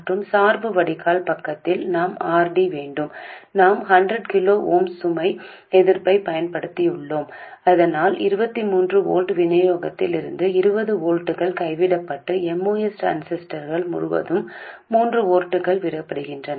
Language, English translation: Tamil, And on the drain side for biasing we need RD and we have used a 100 kilo oom load resistance so that 20 volts is dropped across it from a 23 volt supply and 3 volts are left across the MOS transistor and the load resistance also is specified to be 100 kilo oom